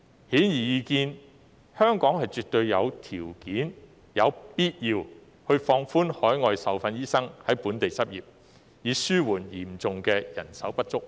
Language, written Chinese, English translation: Cantonese, 顯而易見，香港絕對有條件及有必要放寬海外受訓醫生在本地執業的規定，以紓緩嚴重的人手不足問題。, Obviously Hong Kong absolutely meets the condition for relaxing the requirements on admitting overseas trained doctors to local practice and it is necessary to do so to relieve the acute manpower shortage